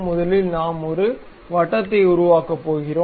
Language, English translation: Tamil, First a circle we are going to construct